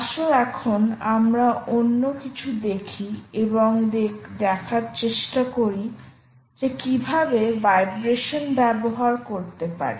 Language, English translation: Bengali, let us now shift gears and try and see how you can also use vibration right